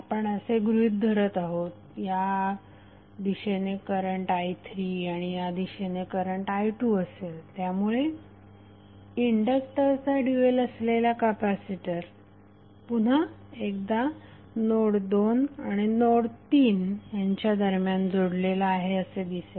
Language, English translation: Marathi, Because we are assuming current i3 in this direction while current i2 would be in this direction, so this will show that the inductor dual that is capacitor again would be connected between node 2 and node3